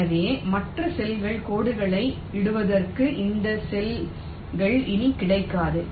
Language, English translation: Tamil, so these cells are no longer available for laying out the other pairs of lines